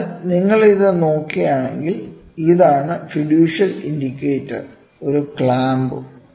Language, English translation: Malayalam, So, if you go back and look at this, this is the fiducial indicator you have a clamp